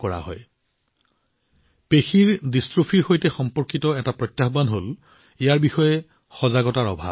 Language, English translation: Assamese, A challenge associated with Muscular Dystrophy is also a lack of awareness about it